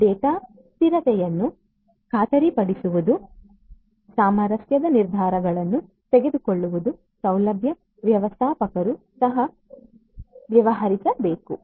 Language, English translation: Kannada, Ensuring data consistency, making harmonized decisions is what a facility manager should also deal with